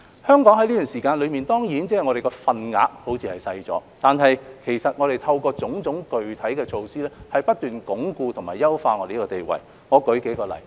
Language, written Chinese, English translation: Cantonese, 香港於這段時間內所佔的份額看似是小了，但其實透過種種具體的措施，是不斷鞏固和優化香港的地位。, During this period the market share of Hong Kong may seem to have reduced but in fact we have taken various specific measures to consolidate and strengthen Hong Kongs position